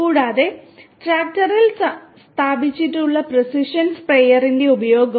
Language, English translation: Malayalam, And also the use of the precision sprayer which is installed to the tractor